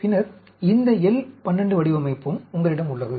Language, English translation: Tamil, Then, you also have this L 12 design